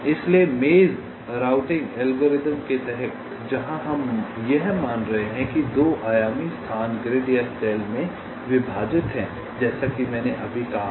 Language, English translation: Hindi, so under the maze routing algorithm, where we are assuming that ah, the two dimensional space is divided into grids or cells, as i have just now said